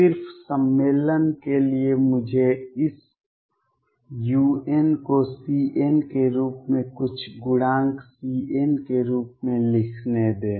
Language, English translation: Hindi, Just for the convention sake let me write this u n as c n some coefficient c n